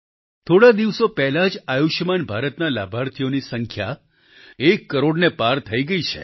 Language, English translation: Gujarati, A few days ago, the number of beneficiaries of 'Ayushman Bharat' scheme crossed over one crore